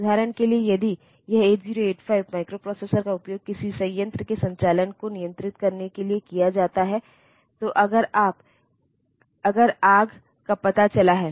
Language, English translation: Hindi, For example, if this 8885 microprocessor is used for controlling the operation of a plant, then then if there is a fire detected